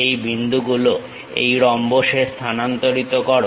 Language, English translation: Bengali, These points have to be transfer on to this rhombus